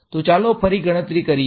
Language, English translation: Gujarati, So, let us again calculate